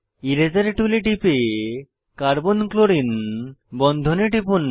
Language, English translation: Bengali, Click on Eraser tool and click on Carbon chlorine bond